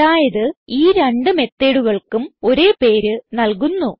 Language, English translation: Malayalam, So what we do is give same name to both the methods